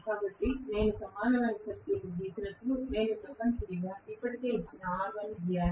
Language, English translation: Telugu, So, when I draw the equivalent circuit I should essentially draw r1 which is already given